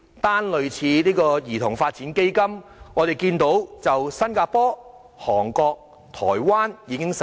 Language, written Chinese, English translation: Cantonese, 單說類似兒童發展基金的措施，我們知道新加坡、韓國及台灣也已經實施。, Let me just talk about measures similar to the Child Development Fund . We know that such measures have already been implemented in Singapore Korea and Taiwan